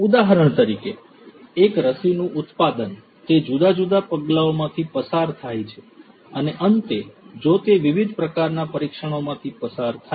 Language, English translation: Gujarati, For example, production of a vaccine, you know it goes through different different steps right so and finally, it goes through certain trials if different sorts of trials happen